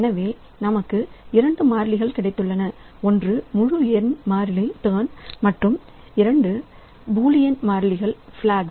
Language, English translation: Tamil, So, we have got two variables, one is an integer variable turned and an array of two bullion variables flag